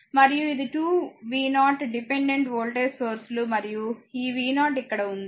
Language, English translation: Telugu, And this is a dependent voltages 2 v 0 and this v 0 is here , right